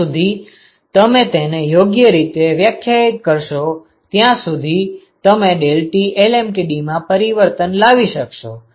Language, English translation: Gujarati, So, as long as you define it properly, you should be able to get this change deltaT lmtd ok